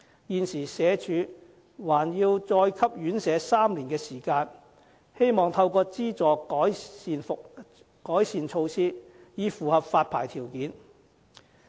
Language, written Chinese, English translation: Cantonese, 現時社署還要再給予院舍3年的時間，希望透過資助院舍能實施改善措施，以符合發牌條件。, The Social Welfare Department now gives an additional three years for RCHDs to meet the licensing requirements by implementing improvement measures with the subvention